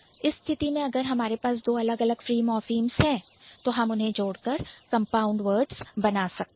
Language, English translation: Hindi, So, in that case, so if we have two different free morphems together, we are going to put it at the same place and then we are going to call it compound words